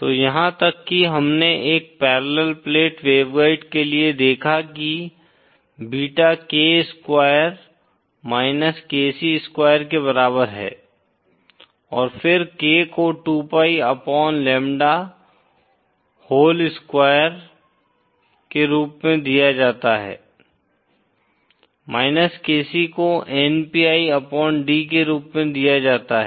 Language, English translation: Hindi, So even for a parallel plate waveguide, we saw that beta is equal to K square KC square and then K is given as 2pi upon lambda whole square KC is given by npi upon d